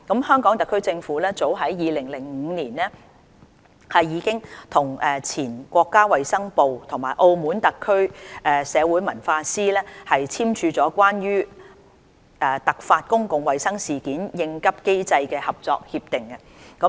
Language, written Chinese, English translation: Cantonese, 香港特區政府早於2005年已與前國家衞生部及澳門特區社會文化司簽署了《關於突發公共衞生事件應急機制的合作協議》。, As early as in 2005 the Government of the Hong Kong Special Administrative Region signed a Co - operation Agreement on Response Mechanism for Public Health Emergencies with the Mainlands former Ministry of Health and the Secretariat for Social Affairs and Culture of the Government of the Macao Special Administrative Region